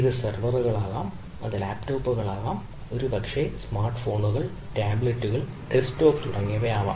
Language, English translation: Malayalam, it can be servers, it can be laptops, maybe a smartphones, tablets, desktop and so and so forth